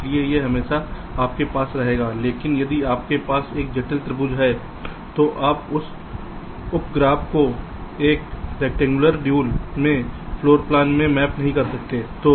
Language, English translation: Hindi, but if you have a complex triangle there, you cannot map that sub graph into a rectangular dual, into a floor plan